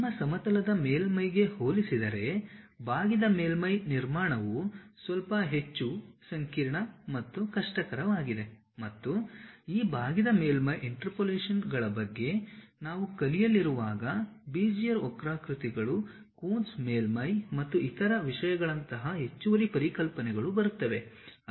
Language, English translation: Kannada, Curved surface construction is bit more complicated and difficult compared to your plane surface and when we are going to learn about these curved surface interpolations additional concepts like Bezier curves, Coons surface and other things comes